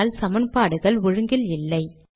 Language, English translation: Tamil, But the equations are not aligned